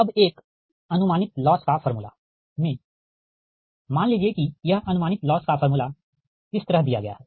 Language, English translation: Hindi, right now, in an approximate loss formula, suppose it is given like this